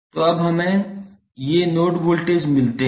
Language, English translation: Hindi, So, when we get these node voltages